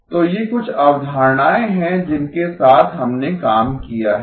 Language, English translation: Hindi, So these are some concepts that we have worked with